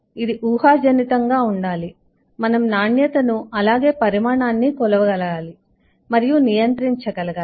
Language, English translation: Telugu, we must be able to measure and control quality as well as quantity